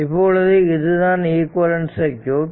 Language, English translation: Tamil, So, this is the equivalent circuit right